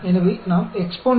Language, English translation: Tamil, So, we get EXPONDIST 1